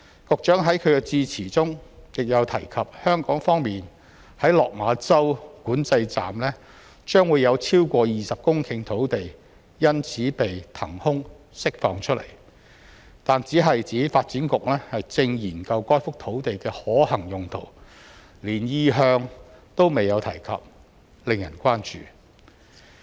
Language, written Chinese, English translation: Cantonese, 局長在其致辭中亦有提及，香港方面在落馬洲管制站將有超過20公頃土地因此被騰空釋放出來，但只是指發展局正研究該幅土地的可行用途，連意向都未有提及，令人關注。, The Secretary mentioned in his speech that more than 20 hectares of land would be freed up from the Lok Ma Chau control point at the Hong Kong side . However we are concerned that he only said the Development Bureau was now looking into the feasible uses of the site and the Bureau does not even have an idea about how to use the site